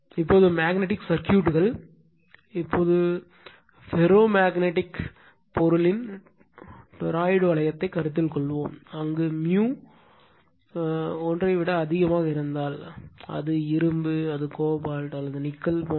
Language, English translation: Tamil, Now, magnetic circuits, now, you consider let us consider a toroidal ring of ferromagnetic material, where mu greater than 1, it maybe iron, it maybe cobalt, and nickel etc right